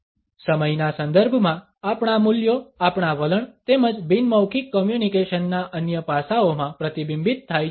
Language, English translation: Gujarati, Our values in the context of time are reflected in our attitudes as well as in other aspects of nonverbal communication